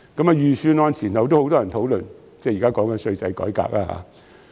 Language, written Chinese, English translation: Cantonese, 在預算案前後，很多人也在討論稅制改革。, Before and after the announcement of the Budget many people were discussing about the tax reform